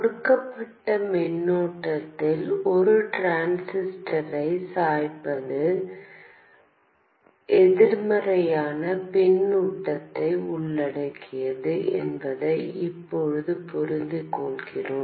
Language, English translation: Tamil, We now understand that biasing a transistor at a given current involves negative feedback